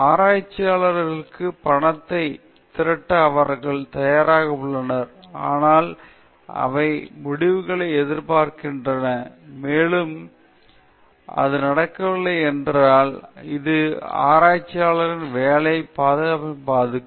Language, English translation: Tamil, They are ready to fund the researchers with money, but they also expect results, and if this does not happen that will affect the job security of the researchers